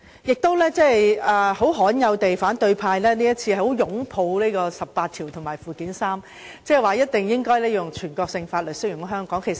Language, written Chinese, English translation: Cantonese, 反對派今次罕有地相當擁護《基本法》第十八條及附件三，即有關全國性法律適用於香港的情況。, This time the opposition has very uncommonly upheld Article 18 and Annex III of the Basic Law regarding the application of national laws in Hong Kong